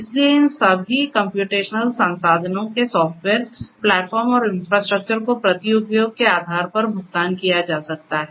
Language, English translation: Hindi, So, all of these computational resources software, platform and infrastructure can be made available on a pay per use kind of basis